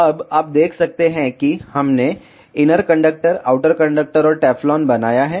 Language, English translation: Hindi, Now, you can see we have created inner conductor, outer conductor and the Teflon